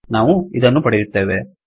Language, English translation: Kannada, What we get is this